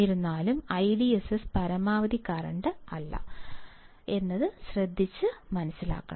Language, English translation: Malayalam, However, note that the I DSS is not the maximum current